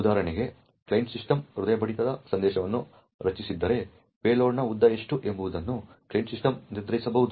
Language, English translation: Kannada, For example, if the client system has created the heartbeat message then the client system can decide on what is the length of the payload